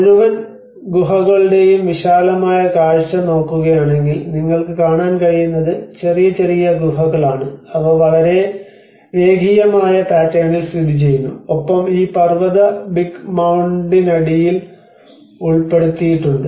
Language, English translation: Malayalam, \ \ \ And if you look at the panoramic view of the whole caves, what you can see is small small caves which are actually located in a very linear pattern and has been embedded under this mountain Big Mound which has been covered